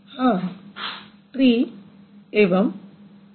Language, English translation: Hindi, So tree and s